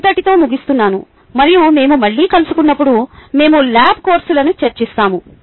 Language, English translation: Telugu, ok, i would leave you with that and when we meet again we will discuss lab courses